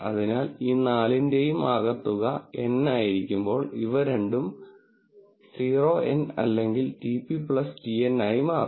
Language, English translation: Malayalam, So, when N is the sum of all these four, if these both are 0 N will become TP plus TN